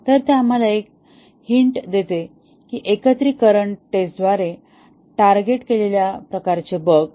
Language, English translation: Marathi, So, that gives us a hint that the type bugs that will be targeted by the integration testing